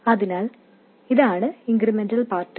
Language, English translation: Malayalam, So, this is the incremental part